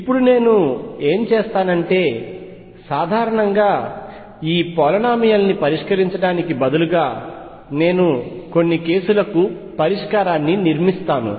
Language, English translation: Telugu, And now what I will do is instead of solving for this polynomial in general I will build up solution for certain cases